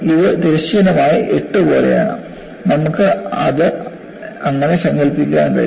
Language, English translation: Malayalam, It is like a figure of eight, horizontally; you can imagine it that way